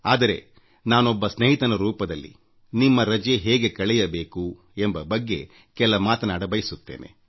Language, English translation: Kannada, But as a friend, I want to suggest you certain tips about of how to utilize your vacation